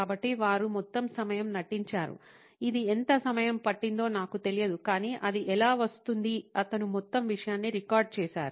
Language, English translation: Telugu, So, they pretended the whole time about I think I do not know how long it took but how look it took he recorded the whole thing